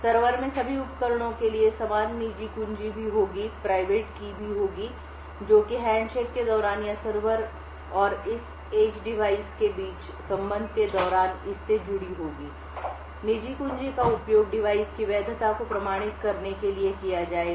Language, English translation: Hindi, The server would also, have the same private keys for all the devices that is connected to and it would send, during the handshake or during the connection between the server and this edge device, the private keys would be used to authenticate the validity of this device